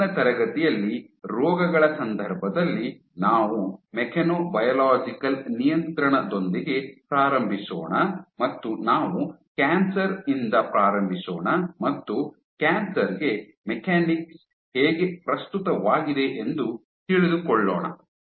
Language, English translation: Kannada, In the next class, we will get started with mechanobiological regulation in case of diseases will start with cancer and how mechanics is relevant to cancer